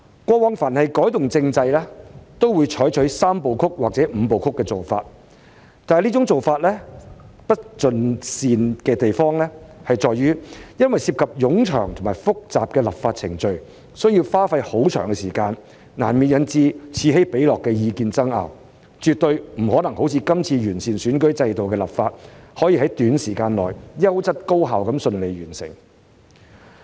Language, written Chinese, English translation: Cantonese, 過往凡是改動政制，都會採取"三步曲"或"五步曲"的做法，但這種做法不盡善之處，在於涉及冗長和複雜的立法程序，需要花費很長時間，難免引致此起彼落的意見爭拗，絕對不可能像今次完善選舉制度的立法般，可以在短時間內，優質高效地順利完成。, In the past changes to the constitutional system would adopt the Three - step Process or the Five - step Process approach . Yet this approach was less than desirable for the legislative procedures involved would be lengthy complicated and time - consuming and would inevitably trigger lots of disputes . It is certain that the work will not be completed with high quality efficiency and smoothness within a short period as in the present case of improving the electoral systems